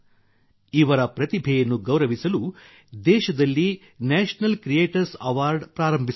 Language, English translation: Kannada, To honour their talent, the National Creators Award has been started in the country